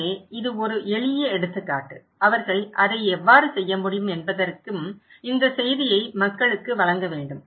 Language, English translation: Tamil, So, this is just one simple example that how they can do it and this message should be given to the people